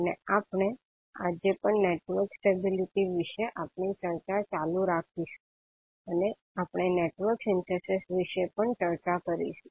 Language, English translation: Gujarati, And we will continue our discussion today about the network stability and also we will discuss about the network synthesis